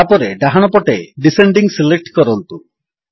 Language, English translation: Odia, Next, from the right side, select Descending